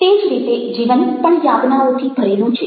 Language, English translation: Gujarati, so life as it is full of suffering